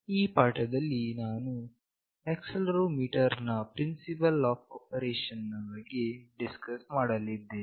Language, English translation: Kannada, So, in the first lecture, I will be discussing about accelerometer what it is and what is the principle operation